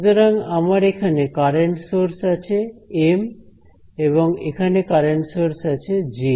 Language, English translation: Bengali, So, I have some current source over here M and some current source over here J